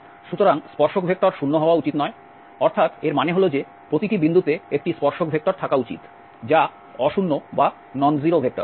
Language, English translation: Bengali, So, the tangent vector should not be 0 that is, that the meaning is that at every point there should be a tangent vector which is non 0 vector